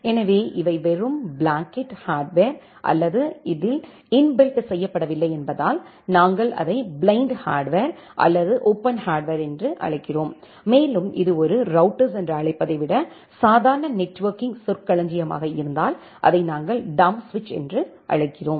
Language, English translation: Tamil, So, because these are just a blanket hardware or this does not have any kind of software inbuilt, we call it as the blind hardware or the open hardware and in case of normal networking terminology rather than calling it as a router, we call it just like dumb switch